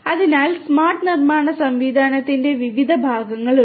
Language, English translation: Malayalam, So, there are different parts of the smart manufacturing system